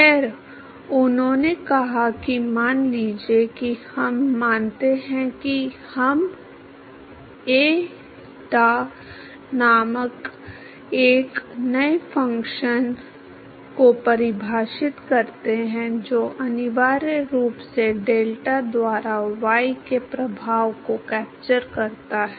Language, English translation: Hindi, Well he said suppose we assume that we define a new function called eta which essentially sort of characterizes the captures the effect of y by delta